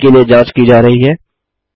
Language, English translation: Hindi, Checking for the spellings